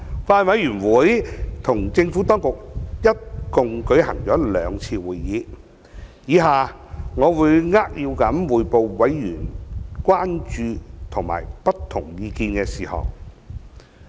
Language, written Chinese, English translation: Cantonese, 法案委員會與政府當局一共舉行了兩次會議，以下我會扼要匯報委員關注及有不同意見的事項。, The Bills Committee held two meetings with the Administration . Here below I will briefly report the matters over which Bills Committee members have expressed concern or differed in opinion